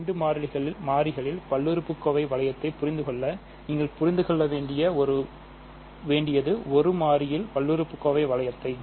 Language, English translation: Tamil, So, in order to understand polynomial ring in 2 variables, all you need to understand is polynomial ring in 1 variable over polynomial ring in 1 variable